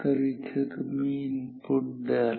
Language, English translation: Marathi, So, these are inputs ok